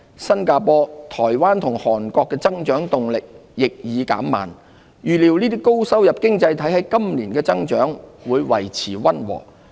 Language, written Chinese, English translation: Cantonese, 新加坡、台灣和韓國的增長動力亦已減慢，預料這些高收入經濟體今年的增長會維持溫和。, The growth for this year is forecast to be somewhat slow . Meanwhile Singapore Taiwan and Korea also saw slower growth momentum . We anticipate that the growth in these high - income economies will remain modest this year